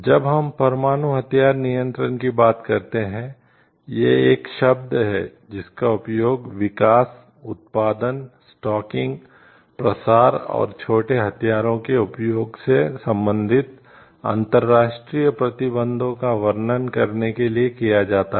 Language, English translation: Hindi, When we talk of nuclear arm control it is a term that is used to describe the international restrictions relating to the development, production, stocking proliferation and usage of small arms, conventional weapons and weapons of mass destruction